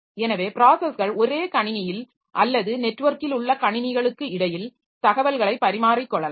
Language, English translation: Tamil, So, processes may exchange information on the same computer or between computers over a network